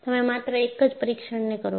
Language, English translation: Gujarati, You do only one test